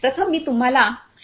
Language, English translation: Marathi, Let me first introduce to you Mr